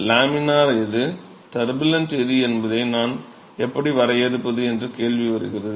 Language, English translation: Tamil, So, the question comes in as to how do I define what is laminar and what is turbulent